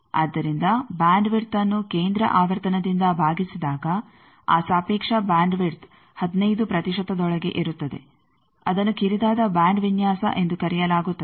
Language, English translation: Kannada, So, the bandwidth divided by the centre frequency that relative bandwidth is within 15 percent that is called narrow band design